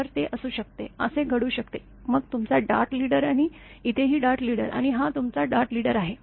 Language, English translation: Marathi, So, it may be; this may happen; this is this one then your 14 d also, that your dart leader and here also dart leader and this one also